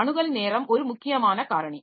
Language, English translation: Tamil, Access time is an important factor